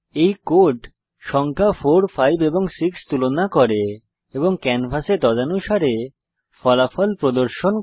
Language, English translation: Bengali, This code compares numbers 4 , 5 and 6 and displays the results accordingly on the canvas